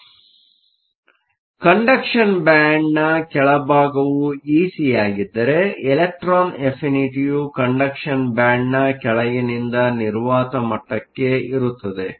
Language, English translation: Kannada, So, if the bottom of the conduction band is E c, electron affinity is from bottom of the conduction band to the vacuum level